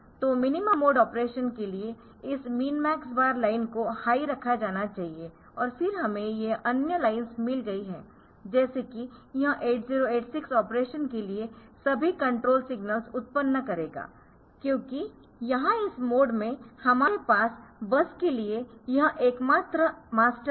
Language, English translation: Hindi, So, for minimum mode of operation so, this min max bar line it should be tied high ok, this min max line so it should be tied high and then we have got this other lines like this 8086 will generate all the control signals for this operation for the operation because that is the that is the only master for the bus that we have here in this mode